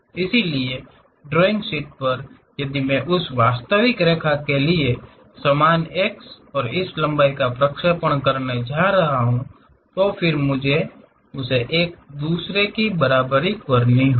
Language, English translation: Hindi, So, on drawing sheet, if I am going to represent the same x for that real line and also this projected line; then I have to equate each other